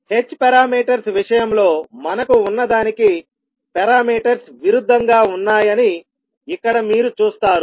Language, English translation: Telugu, So here you will see the parameters are opposite to what we had in case of h parameters